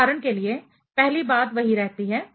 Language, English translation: Hindi, For example, first thing remains same